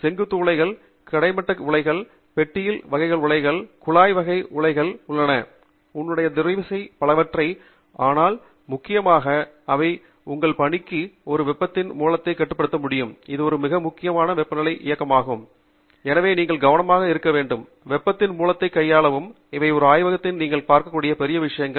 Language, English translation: Tamil, There are also furnaces which are vertical, there are furnaces which are horizontal, there are box type furnaces, there are tube type furnaces; so lot of variety in the type of furnaces that you have there, but principally they bring into your work place a source of heat which could be controlled, which would be running at a very high temperature, and therefore, you need be careful when you handle that source of heat